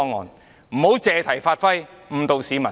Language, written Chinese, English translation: Cantonese, 議員不要借題發揮，誤導市民。, Members should not make an issue of it and mislead the public